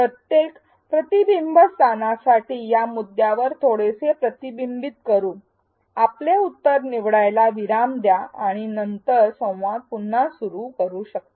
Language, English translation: Marathi, Let us reflect upon this point a little further for each reflection spot pause choose your answer then resume the learning dialogue